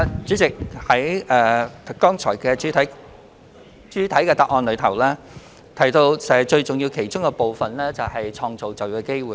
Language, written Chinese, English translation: Cantonese, 主席，我剛才在主體答覆中提到，紓困措施其中最重要的一環，就是創造就業機會。, President as I mentioned in the main reply one of the most important aspects of the relief measures is to create job opportunities